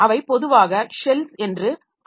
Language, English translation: Tamil, So, they are commonly known as shells